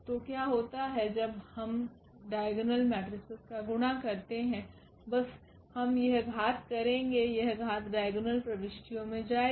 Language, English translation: Hindi, So, what happens when we do the product of the diagonal matrix just simply we will this power; this power will go to the diagonal entries